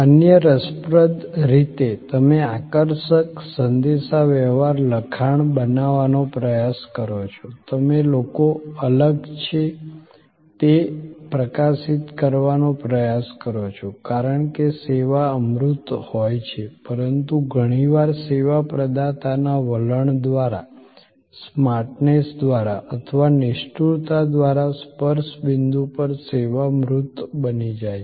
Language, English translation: Gujarati, Other interesting you try to create catchy communications text, you try to highlight that people or the key differentiate, this because the service intangible often becomes tangible at the touch point by the attitude, by the smartness or by the callousness of the service provider